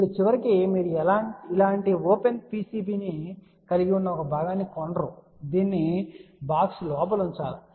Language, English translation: Telugu, Now eventually you are not going to buy a component which has a open PCB like this, this has to be put inside a box